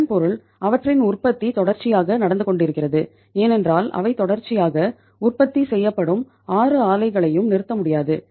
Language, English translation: Tamil, It means their production is continuously going on because all the 6 plants they are continuously the production is going on that cannot be stopped